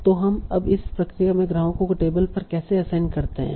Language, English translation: Hindi, So now how do we assign customers to the tables in this process